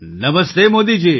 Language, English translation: Gujarati, Namaste Modi ji